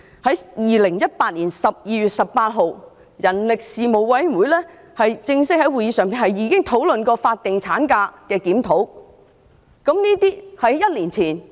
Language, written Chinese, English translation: Cantonese, 在2018年12月18日，人力事務委員會已正式在會議上就法定產假的檢討進行討論。, On 18 December 2018 the Panel on Manpower had a formal discussion about the review on statutory maternity leave during the meeting